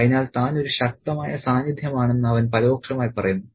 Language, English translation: Malayalam, So, he indirectly suggests that he is a powerful presence